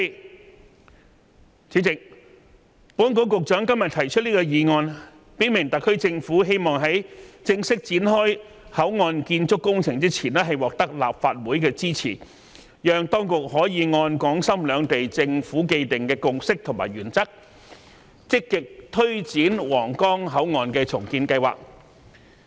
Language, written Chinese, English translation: Cantonese, 代理主席，保安局局長今天提出這項議案，表明特區政府希望在正式展開口岸建築工程前，獲得立法會支持，讓當局可以按港深兩地政府既定的共識和原則，積極推展皇崗口岸重建計劃。, Deputy President today the Secretary for Security moved the motion and stated that the SAR Government wished to get the support of the Legislative Council before the formal commencement of the works project of the Port so as to allow the authorities to actively take forward the Huanggang Port redevelopment project according to the consensus and principles agreed by Shenzhen and Hong Kong